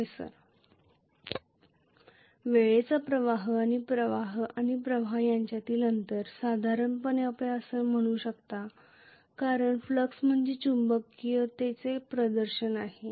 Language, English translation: Marathi, The time constant and the lag between the current and the flux, roughly you can say that because the flux is manifestation of magnetism